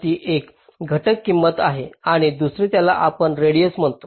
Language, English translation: Marathi, ok, this is one factor, cost, and the second one, which we call as radius: what is radius